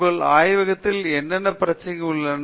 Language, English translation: Tamil, What are the kinds of problem which are going on in your laboratory